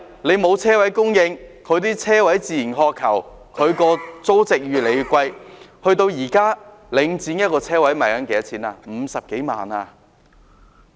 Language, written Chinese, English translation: Cantonese, 由於車位供應不足，市民自然渴求車位，令租值越來越高，現時領展一個車位的售價是50多萬元。, Given the shortage of parking spaces members of the public naturally have a keen demand for parking spaces thereby leading to the ever - increasing rental value . The price of a parking space held by Link REIT is some 500,000 at present